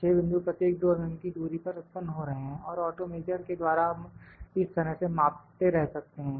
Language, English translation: Hindi, 6 points are generated at 2 mm distance each and auto measure again we can keep measuring like this